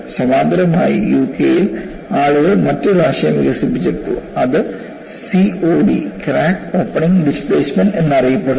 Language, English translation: Malayalam, And parallelly, you know in UK, people developed another concept, which is known as COD, crack opening displacement